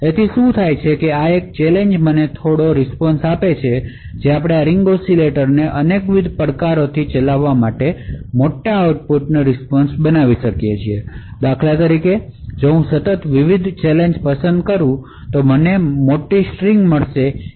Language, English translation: Gujarati, So what is done is that this one challenge gives me one bit of response, so if we actually run this ring oscillator with multiple different challenges we could build larger output response so for example, if I continuously choose different challenges I would get a larger string of responses, each response is independent of the other